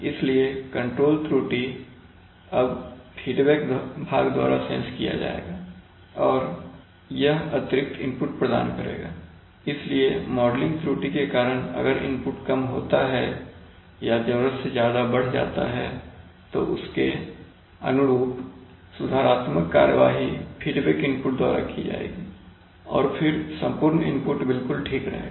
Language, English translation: Hindi, So that control error will now be sensed by the feedback part and that will provide additional input, so if due to modeling error this false short either becomes more or larger than required then the corresponding compensating correction will be given by the feedback input and then the overall input will be just the right one